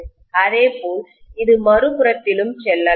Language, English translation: Tamil, The same way, it can also go on the other side, right